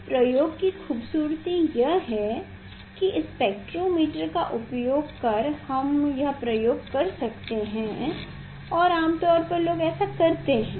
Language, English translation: Hindi, beauty of this experiment is that using the spectrometer we could do this experiment and generally people do it